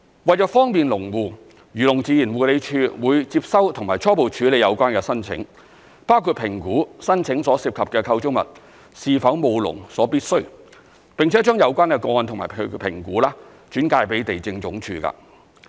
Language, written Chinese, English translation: Cantonese, 為方便農戶，漁農自然護理署會接收及初步處理有關的申請，包括評估申請所涉及的構築物是否務農所必需，並且把有關個案及其評估轉介予地政總署。, To facilitate application by farmers the Agriculture Fisheries and Conservation Department will receive application forms and conduct preliminary processing of the applications including assessing whether the structures involved in the applications are necessary for farming . The cases together with the assessment made will then be referred to LandsD for further handling